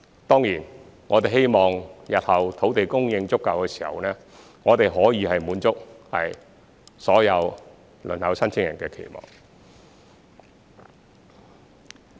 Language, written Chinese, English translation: Cantonese, 當然，我們希望日後土地供應足夠的時候，我們可以滿足所有輪候申請人的期望。, Of course we hope that we will be able to satisfy the expectations of all the applicants on the waiting list when there is sufficient land supply in the future